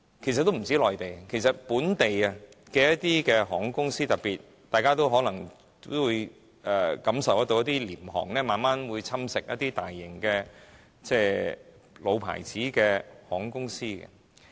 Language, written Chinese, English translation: Cantonese, 不單內地，一些本地的航空公司，大家都可能感受得到特別是廉價航空會慢慢侵蝕一些大型的老牌航空公司。, Members may realize that low - cost carriers are gradually taking up the market share of certain major traditional airlines in not only the Mainland but also the local market